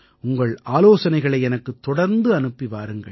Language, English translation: Tamil, Do continue to keep sending me your suggestions